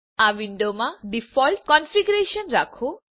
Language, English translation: Gujarati, In this window, keep the default configuration